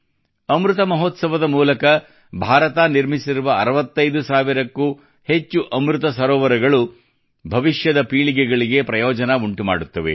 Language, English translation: Kannada, The more than 65 thousand 'AmritSarovars' that India has developed during the 'AmritMahotsav' will benefit forthcoming generations